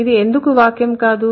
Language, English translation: Telugu, Why this is not a sentence